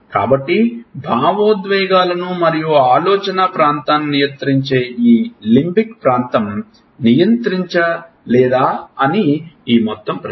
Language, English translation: Telugu, So, this whole question whether this limbic area which controls the emotions and the thinking area does not control